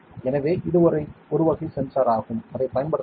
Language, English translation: Tamil, So, this is one type of a sensor that can be used ok